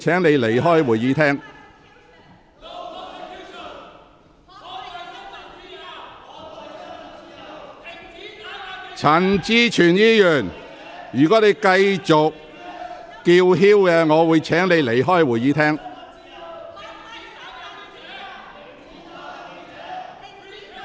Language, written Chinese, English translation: Cantonese, 毛孟靜議員，如果你繼續高聲叫喊，我會請你離開會議廳。, Ms Claudia MO if you keep yelling I will ask you to leave the Chamber